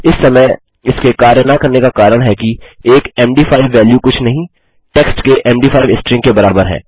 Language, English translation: Hindi, The reason this is not working at the moment is, an md5 value of nothing is equal to an md5 string of text